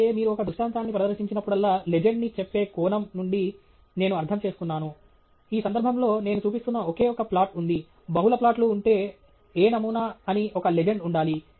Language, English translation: Telugu, And also, it’s a good idea that whenever you present an illustration, I mean from the perspective of say the legend that you put up, in this case there’s only one plot that I am showing; if there are multiple plots there should be a legend saying what is which sample